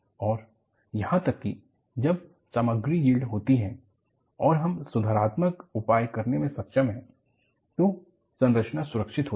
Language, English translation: Hindi, So, even, when the material yields, if you are able to take corrective measures, the structure is safe